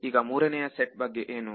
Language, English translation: Kannada, Now what about the third set